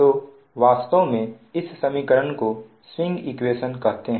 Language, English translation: Hindi, so this equation actually is called swing equation